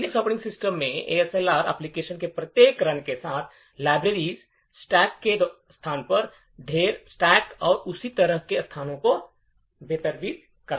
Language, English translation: Hindi, In the Linux operating systems ASLR would randomize the locations of libraries, the location of the heap, the stack and so on with each run of the application